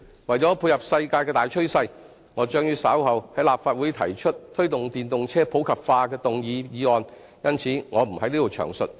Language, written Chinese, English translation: Cantonese, 為了配合世界的大趨勢，我將於稍後在立法會提出"推動電動車普及化"的議案，因此，我不在此詳述。, To keep in line with this major global trend I will move a motion on Promoting the popularization of electric vehicles in the Legislative Council in due course and hence I am not going to explain it in detail here